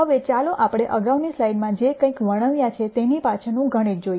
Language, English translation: Gujarati, Now, let us see the mathematics behind whatever I described in the previous slide